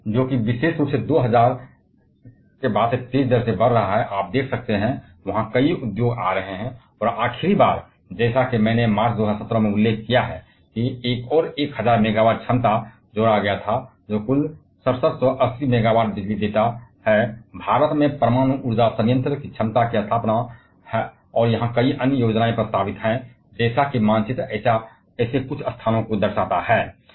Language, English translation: Hindi, And that kept on increasing at a faster rate particularly see in 2000 onwards, you can see there are several plants coming on, and the last one as I have mentioned in March 2017 another 1000 megawatt capacity was added which gives a total 6780 megawatt electrical of install capacity of nuclear power plant in Indian